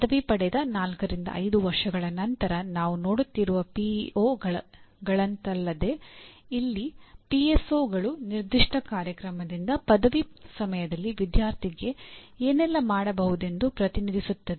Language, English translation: Kannada, Unlike PEOs where we are looking at four to five years after graduation, here PSOs represent what the student should be able to do at the time of graduation from a specific program